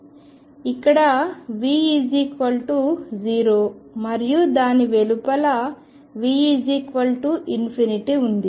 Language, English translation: Telugu, So, the here V was 0 and outside it was infinity